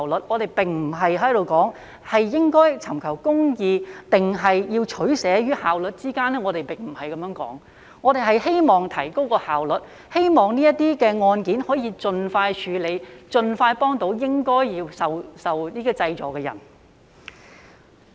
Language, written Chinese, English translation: Cantonese, 我們並非說，應在尋求公義與效率之間作出取捨，並非如此，而是我們希望提高效率，希望這類案件可以盡快得以處理，盡快協助應該受濟助的人。, We are not saying that we should make a choice between seeking justice and improving efficiency . That is not the case . Instead we hope that these cases can be promptly dealt with through improved efficiency in order to render help to all those people in need of relief